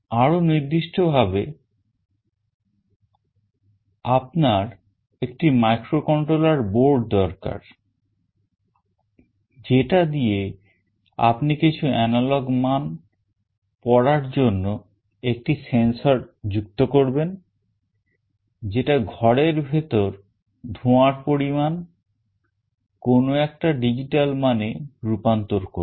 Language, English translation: Bengali, But more specifically you need a microcontroller board through which you will be connecting a sensor that will read some analog values, which is in terms of smoke inside the room, and it will convert digitally to some value